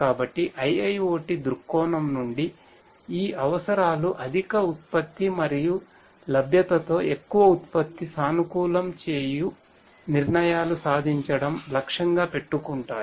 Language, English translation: Telugu, So, so from a IIoT view point these requirements will aim to achieve greater production optimized decisions will be possible with higher efficiency and availability